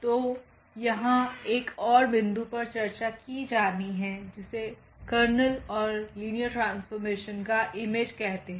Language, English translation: Hindi, So, another point here to be discussed that is called the kernel and the image of the linear mapping